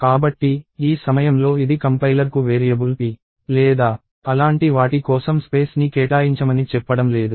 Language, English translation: Telugu, So, at this point this is not telling the compiler to allocate space for the variable p or anything like that